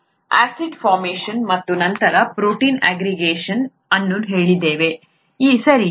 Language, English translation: Kannada, We said acid formation and then protein aggregation, okay